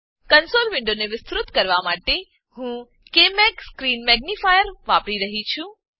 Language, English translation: Gujarati, I am using KMag Screen magnifier to magnify the console window